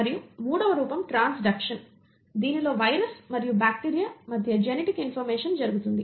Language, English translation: Telugu, And a third form is transduction wherein there is a genetic information happening between a virus and a bacteria